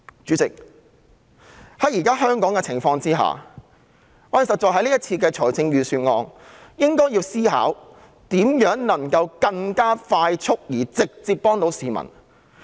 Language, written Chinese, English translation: Cantonese, 主席，在香港目前的情況下，對於這份預算案，我們確實應該思考如何能夠更迅速、直接地協助市民。, President in light of the current situation of Hong Kong it is incumbent on us to think about how this Budget can offer assistance to members of the public more promptly and directly